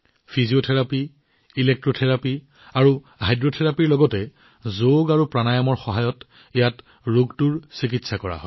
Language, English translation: Assamese, Along with Physiotherapy, Electrotherapy, and Hydrotherapy, diseases are also treated here with the help of YogaPranayama